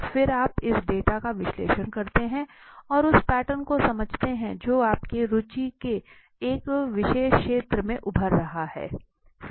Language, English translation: Hindi, Then you analyze it the data you have you understand the pattern that is emerging in a particular area of interest